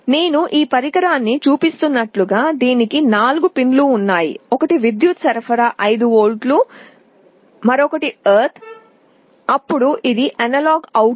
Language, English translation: Telugu, Like I am showing this device, it has four pins; one is the power supply 5 volts, ground, then this is analog out